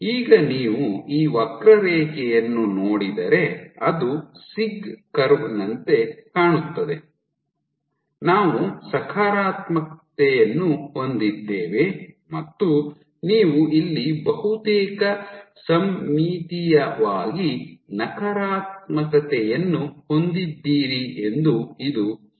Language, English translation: Kannada, So, this suggests that now if you look at this curve it looks like a sig curve, we have positive and you have almost symmetrically negative here